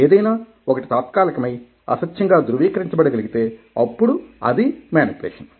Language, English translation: Telugu, one is temporary if it is something which can be verified and if it is the untruth, then it is manipulation